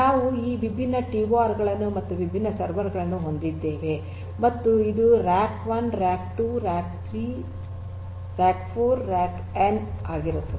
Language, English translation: Kannada, So, we will have these different TORs and with different servers and this will be rack, rack n right, rack 2, rack 3, rack 4 and rack n